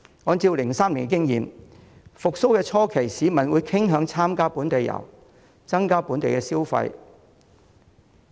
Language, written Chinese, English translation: Cantonese, 按照2003年的經驗，復蘇初期，市民傾向參加本地遊，增加本地消費。, According to the experience back in 2003 in the early stage of the upswing members of the public preferred joining local tours which served to boost domestic consumption